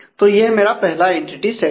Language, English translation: Hindi, So, this is my first entity set